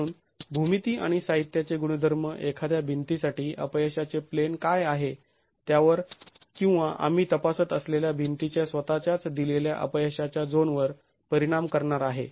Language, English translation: Marathi, So, geometry and material properties are going to affect what the failure plane is for a given wall or a given failure zone that we are examining in a masonry wall itself